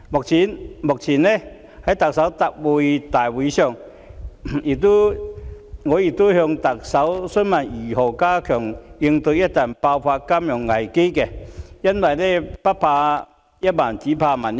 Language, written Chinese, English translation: Cantonese, 早前，在行政長官答問會上，我曾詢問特首如何加強應對一旦爆發的金融危機，因為不怕一萬，只怕萬一。, Some time ago in a Question and Answer Session of the Chief Executive I asked the Chief Executive how she would step up efforts to cope with the outbreak of a financial crisis because we must always be prepared for unpredictable circumstances